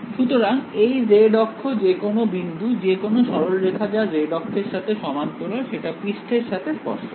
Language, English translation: Bengali, So, the z axis any point any line parallel to the z axis is tangential to the surface